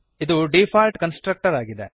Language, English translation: Kannada, And Default Constructors